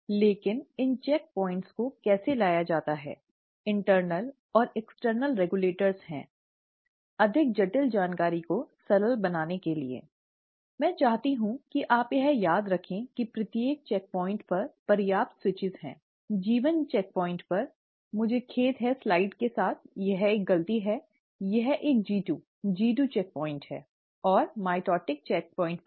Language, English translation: Hindi, But how are these checkpoints brought about, there are internal and external regulators, to make a more complex information simpler, I just want you to remember that there are enough switches at each of these checkpoints, at the G1 checkpoint, at, I am sorry with the slides, this is a mistake, this is a G2, G2 checkpoint, and at the mitotic checkpoint